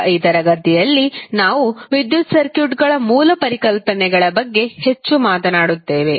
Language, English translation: Kannada, Now, in this session we will talk more about the basic concepts of electric circuits